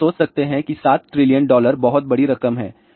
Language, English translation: Hindi, So, you can imagine 7 trillion dollar is huge amount of money